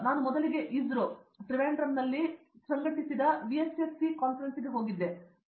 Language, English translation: Kannada, When I first went to conference in Trivandrum organized by ISRO, VSSC